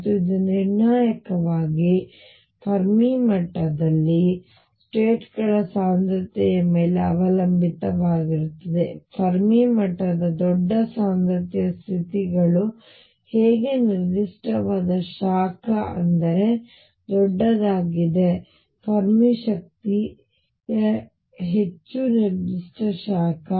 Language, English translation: Kannada, And it depends crucially on density of states at the Fermi level, larger the density states of the Fermi level more the specific heat; that means, larger the Fermi energy more the specific heat